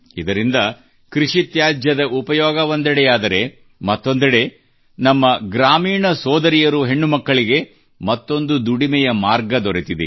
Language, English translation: Kannada, Through this, the utilization of crop waste started, on the other hand our sisters and daughters living in the village acquired another source of income